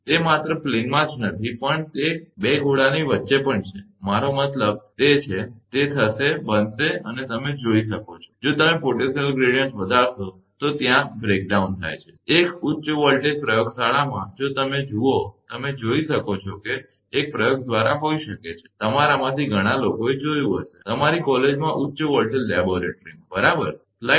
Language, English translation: Gujarati, Even it is not, only that plane a between 2 sphere also, I mean whatever it is, it will happen and you can see that, if you increase the potential gradient that breakdown will happen, in a high voltage laboratory, if you see that you can see that a through experiment may be, many of you might have seen, in your college in the high voltage laboratory right